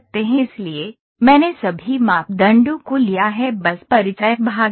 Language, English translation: Hindi, So, I have taken all the parameters just introduction part was this